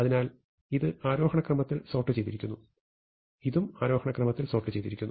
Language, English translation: Malayalam, So, this is sorted in ascending order and so is this sorted in ascending order